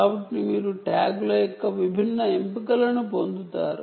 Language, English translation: Telugu, ok, so you get different choices of tags like this